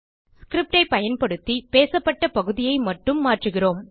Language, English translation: Tamil, Using the script, we change the spoken part only